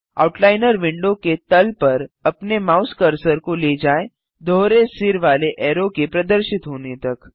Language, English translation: Hindi, Move your mouse cursor to the bottom edge of the Outliner window till a double headed arrow appears